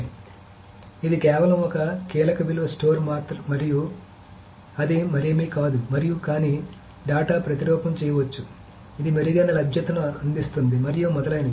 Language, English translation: Telugu, It is essentially a key value store only so this is just a key value store and it is nothing more than that and but data can be replicated it provides better availability and so on so so forth